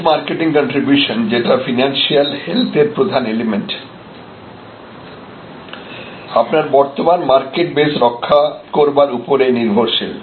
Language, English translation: Bengali, So, this net market contribution, which is a key element for the financial health again is very, very dependent on good solid protection of your existing market base